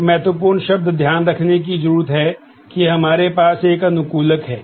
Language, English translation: Hindi, So, that is a critical term to be noted that there is an optimizer